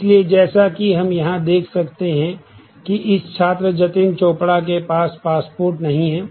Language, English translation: Hindi, So, as we can see here that this student Jatin Chopra does not have a passport